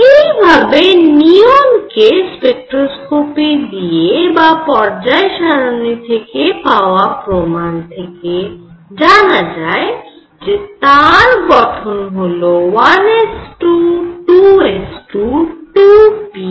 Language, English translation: Bengali, Similarly when one reached neon one could see from the spectroscopic and these periodic table evidences that this was had a structure of 2 s 2, 2 p 6